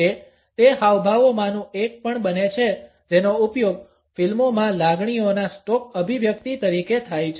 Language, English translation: Gujarati, It also happens to be one of those gestures which are used as stock expressions of emotions in movies